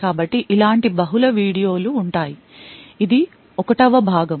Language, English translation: Telugu, So, there will be multiple such videos, this is the 1st part of it